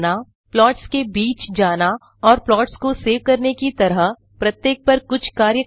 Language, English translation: Hindi, Switch between the plots and perform some operations on each of them like saving the plots